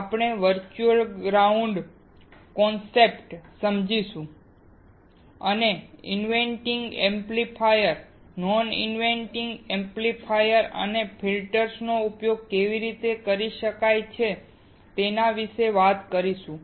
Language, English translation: Gujarati, We will understand the virtual ground concept and also talk about how an inverting amplifier, non inverting amplifiers and filters can be used